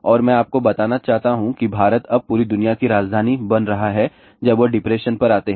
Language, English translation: Hindi, And I just want to tell you India is now becoming capital of the entire world when it comes to the depression